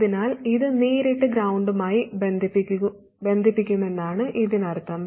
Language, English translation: Malayalam, So that means that this will be connected directly to ground